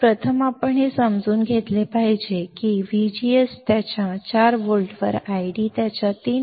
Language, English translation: Marathi, So, first we should understand that V G S on its 4 volts, I D on its 3